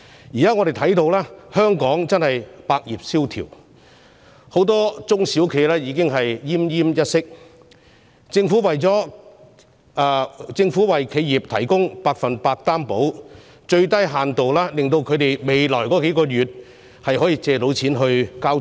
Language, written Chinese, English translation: Cantonese, 現在，我們看到香港百業蕭條，很多中小企已經奄奄一息，政府為企業提供百分百擔保，至少令它們未來數月能借款繳付租金和支薪。, Now we can see that all Hong Kong businesses are experiencing downturns with many SMEs already on the verge of closure . The provision of 100 % guarantee by the Government can at least enable them to secure loans for their rents and wage payments in the next few months